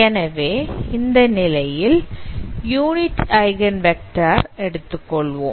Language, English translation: Tamil, This is a unit vector